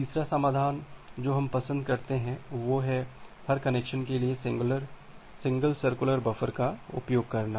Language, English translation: Hindi, The third solution that we prefer is to use single large circular buffer for every connection